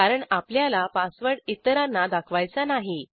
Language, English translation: Marathi, We dont want others to see our password